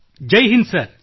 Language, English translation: Kannada, Jai Hind Sir